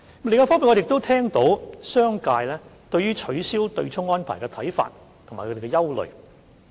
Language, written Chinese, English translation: Cantonese, 另一方面，我們亦聽到商界對於取消對沖安排的看法和憂慮。, On the other hand we have also heard the views and concerns of the business sector concerning the abolition of the offsetting arrangement